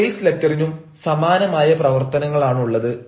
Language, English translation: Malayalam, so the sales letter has also the same function